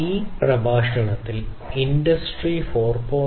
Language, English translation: Malayalam, So, in the context of Industry 4